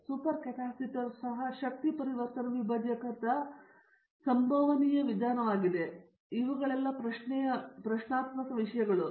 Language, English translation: Kannada, So, super capacitor, super capacitor also is a possible means of energy conversion divisor, but only thing is the materials in question